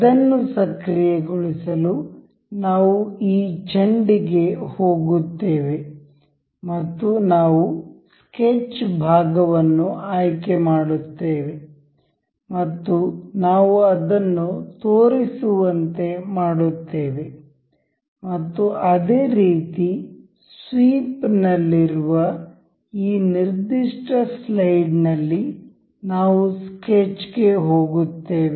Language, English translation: Kannada, To enable that, we will go to this ball and we will select the sketch part and we will make it show and similarly, on the this particular slide in the sweep, we will go to the sketch